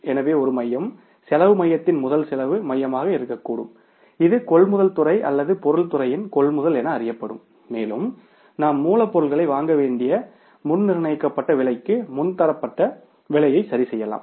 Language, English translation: Tamil, So there can be one center, cost center, first cost center which will be known as the purchase department or the procurement of material department and we can fix up the pre decided price, pre standardized price that we will have to purchase the raw material per unit of the raw material or different raw materials at this price